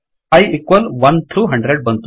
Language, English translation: Kannada, I equals 1 through 100